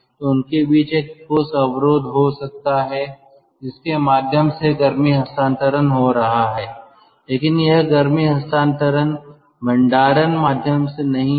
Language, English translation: Hindi, so there could be a solid barrier between them through which heat transfer is taking place, but this heat transfer is not via a storage medium